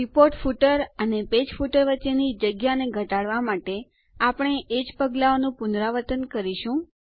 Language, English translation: Gujarati, ltpausegt We will repeat the same steps to reduce the spacing between the Report footer and the Page footer also